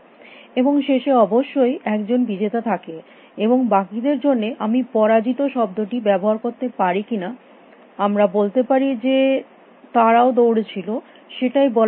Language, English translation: Bengali, And in the end of course, there is only one winner in the end, and all the rest are should I use the word loser or we should say also run may be I think that is a better word